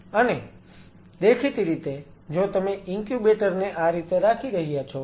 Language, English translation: Gujarati, Where you will be placing the incubators possibly